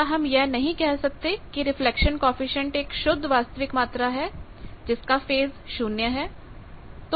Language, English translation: Hindi, Can I not say that reflection coefficient there is a pure real quantity its phase is 0